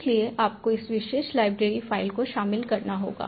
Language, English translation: Hindi, for this you have to include the library file you downloaded